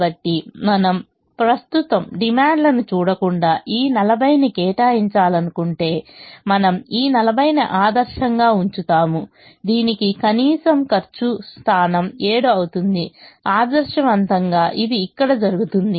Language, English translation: Telugu, so if we want to allocate this forty without at present looking at the demands, we would ideally put all the forty to its least cost position, which happens to be seven, which happens to be here